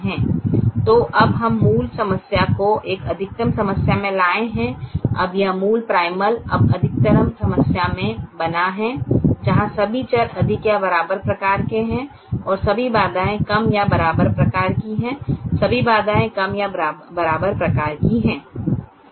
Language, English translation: Hindi, now this original primal is now made into a maximization problem where all variables are greater than or equal to type and all constraints are less than or equal to type